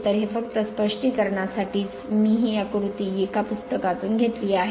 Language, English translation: Marathi, So, this is just for the sake of explanation I have taken this diagram from a book right